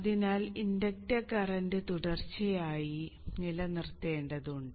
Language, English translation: Malayalam, Therefore one has to keep the inductor current continuous